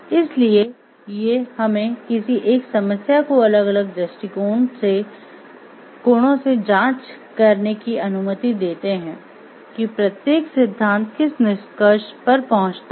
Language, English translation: Hindi, So, these allows us to examine a proper examine a problem from different perspectives to see what conclusion each one to see what conclusion each 1 reaches